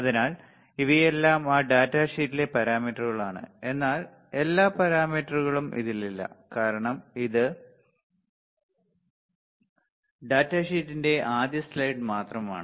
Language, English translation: Malayalam, So, these are all the parameters in that data sheet, but not all the parameters this is just first slide of the data sheet